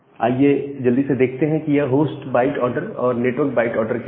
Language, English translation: Hindi, Now, let us look at quickly that what is the source byte order and the network byte order